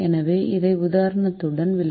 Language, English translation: Tamil, so let me explain this with the example